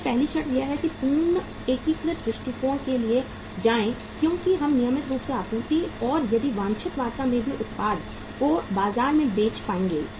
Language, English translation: Hindi, So first prerequisite is that go for a complete integrated approach because we would be able to sell the product in the market if we have the regular supply and that too in the desired quantity